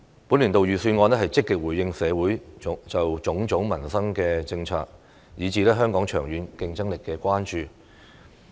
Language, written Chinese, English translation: Cantonese, 本年度預算案積極回應社會就種種民生政策，以至香港長遠競爭力的關注。, The Budget this year has actively responded to social concerns about various policies on peoples livelihood and the long - term competitiveness of Hong Kong